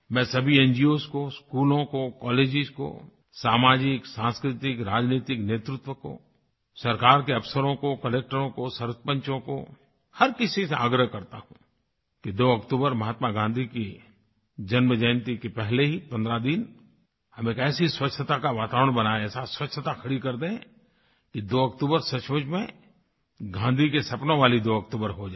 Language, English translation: Hindi, I urge all NGOs, schools, colleges, social, cultural and political leaders, people in the government, collectors and sarpanches, to begin creating an environment of cleanliness at least fifteen days ahead of Gandhi Jayanti on the 2nd of October so that it turns out to be the 2nd October of Gandhi's dreams